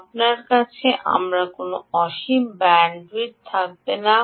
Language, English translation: Bengali, i don't have any infinite bandwidth